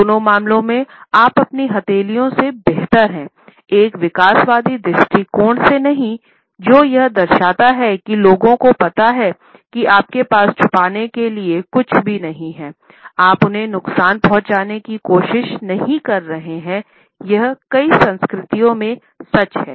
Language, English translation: Hindi, In either case you are better off revealing your palms than not from an evolutionary perspective what this shows people is that you have nothing to hide you are not trying to do them harm this is a true across many many cultures